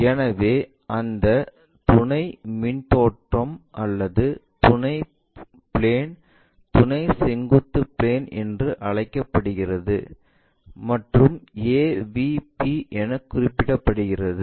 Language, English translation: Tamil, So, that auxiliary front view and the auxiliary plane is called auxiliary vertical plane and denoted as AVP